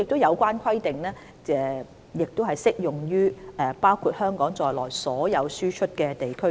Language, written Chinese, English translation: Cantonese, 有關規定，亦適用於包括香港在內的所有輸出地區。, The restriction also applies to all exporting places including Hong Kong